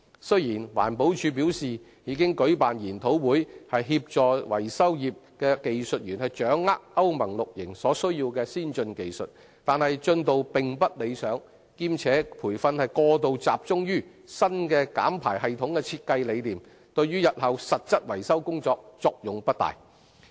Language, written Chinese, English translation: Cantonese, 雖然環保署表示已舉辦研討會，協助維修業技術員掌握歐盟 VI 期所需的先進技術，但進度並不理想，兼且培訓過度集中新減排系統的設計理念，對日後實質維修工作的作用不大。, Although seminars have been organized to help technicians of the maintenance trade to master the advanced techniques necessary for Euro VI the progress is unsatisfactory . In addition the undue concentration on the design principles of the new emission reduction system in training programmes serves little purpose for the actual maintenance work in the future